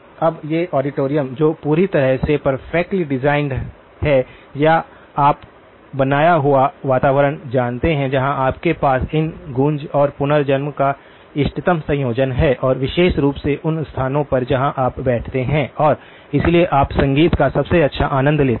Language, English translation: Hindi, Now, those auditoriums where you get absolutely the perfectly designed and or you know created environment where you have optimal combination of these echoes and reverberation and particularly in locations where you sit and therefore you enjoy the best of music